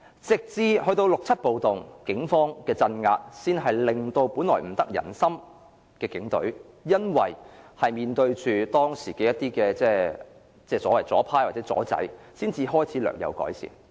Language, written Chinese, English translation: Cantonese, 直至六七暴動，警方的鎮壓才令本來不得人心的警隊，因為面對當時的左派或"左仔"，其形象才開始略有改善。, It was not until the riots in 1967 when the unpopular police offices confronted and suppressed the leftists that the image of the Police Force was slightly improved